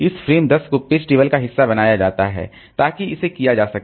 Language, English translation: Hindi, This frame 10 is made a part of the page table